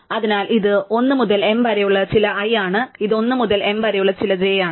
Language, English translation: Malayalam, So, this is some i between 1 to m and this is some j between 1 to m